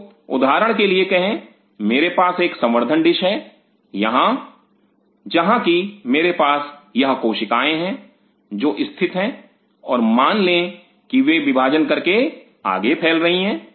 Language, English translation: Hindi, So, say for example, I have a cultured dish here where I have these cells which are sitting and suppose they are dividing and spreading further